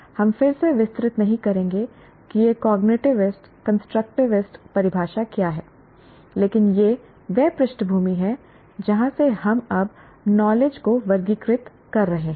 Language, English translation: Hindi, We will not again elaborate what this cognitiveist and constructivist definition, but that is the background from which we are now, what do you call, classifying or categorizing the knowledge